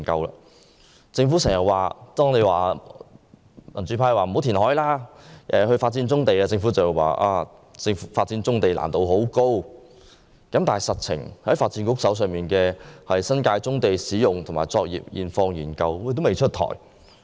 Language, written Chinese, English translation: Cantonese, 每當民主派建議政府不應填海而應發展棕地時，政府便說發展棕地的難度很高，但事實上，發展局的新界棕地使用及作業現況研究報告仍未出台。, Whenever the democrats ask the Government not to reclaim land but develop brownfield sites the Government always says that the development of brownfield sites involves great difficulties . As a matter of fact the report on the Study on Existing Profile and Operations of Brownfield Sites in the New Territories commissioned by the Development Bureau is yet to be published